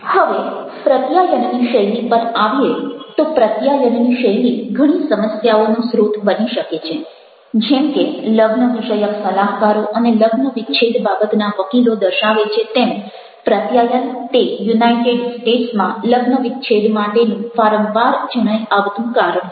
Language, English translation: Gujarati, once, the style of communication can be the source of many problems, like marriage counselors and divorce lawyers indicate that a breakdown in communication is the most frequently cited reason for a relational dissolution